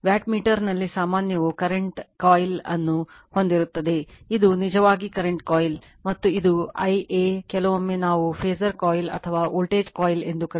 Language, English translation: Kannada, General in a wattmeter you have a current coil this is actually current coil right and this is i am sometimes we call phasor coil or voltage coil